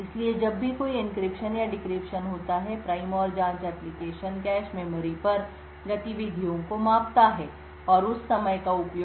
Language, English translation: Hindi, So, whenever there is an encryption or decryption that takes place the prime and probe would measure the activities on the cache memory and use that timing to infer secret information